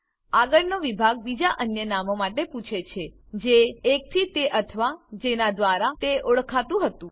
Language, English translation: Gujarati, The next section asks for other names that one is or was known by